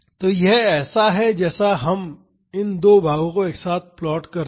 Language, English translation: Hindi, So, this is like these two plots plotted together